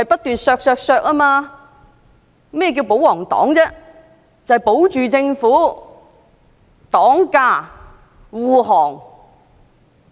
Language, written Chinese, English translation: Cantonese, 顧名思義，"保皇黨"必須保護政府，為政府擋駕、護航。, As their name implies the royalist party must safeguard and harbour the Government